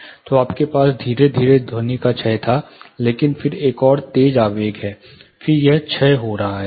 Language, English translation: Hindi, So, you had a gradual decay of sound, but then there is another sharp impulse, then it is decaying down